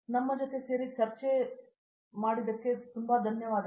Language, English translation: Kannada, I thank you very much for joining us